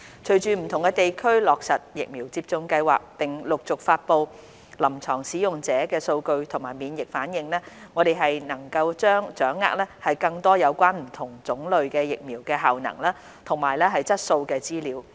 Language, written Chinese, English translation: Cantonese, 隨着不同地區落實疫苗接種計劃，並陸續發布臨床使用者數據及免疫反應，我們將能掌握更多有關不同種類疫苗的效能及質素資料。, With vaccination programmes being implemented in different places and gradual publishing of clinical user statistics as well as immunization responses we can obtain more information on the efficacy and quality of various COVID - 19 vaccines